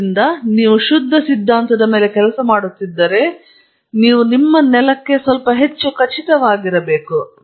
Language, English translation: Kannada, So, you have to be careful, if you are working on pure theory you have to be little more sure of your ground